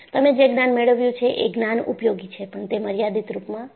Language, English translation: Gujarati, You have gained knowledge, the knowledge is useful, but it is limited